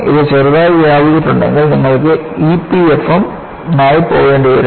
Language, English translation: Malayalam, If it is spread slightly, then you will have to go in for E P F M